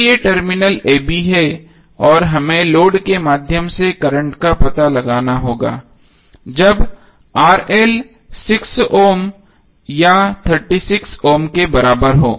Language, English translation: Hindi, So these are the terminals a b and we have to find out the current through the load when RL is equal to either 6 ohm or 36 ohm